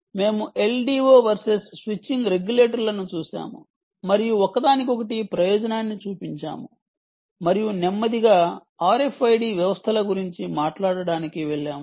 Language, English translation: Telugu, we looked at l d o s versus ah switching regulators and showed the advantage of each one over the other and slowly moved on to talk about r, f, i d systems